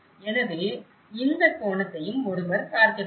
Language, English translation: Tamil, So, one also has to look at this angle